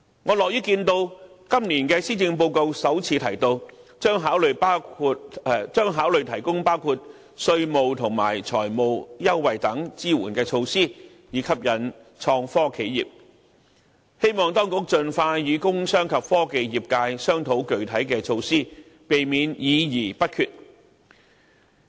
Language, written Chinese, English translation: Cantonese, 我樂於看到今年的施政報告首次提到政府將考慮提供包括稅務及財務優惠等支援措施，以吸引創科企業，希望當局盡快與工商及科技業界商討具體措施，以免議而不決。, I am happy to see that it is mentioned for the first time in the Policy Address this year that the Government would consider implementing such support measures as offering tax and financial concessions to attract innovation and technology enterprises and I hope actions would be taken as soon as possible to discuss the concrete measures with the commerce industry and technology sectors in order to avoid making no decision after deliberation